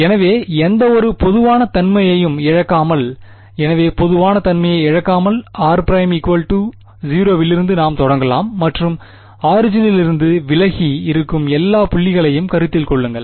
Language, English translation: Tamil, So, we will without any loss of generality, so w l o g without loss of generality, we can start with r prime equal to 0 and consider all points which are away from the origin ok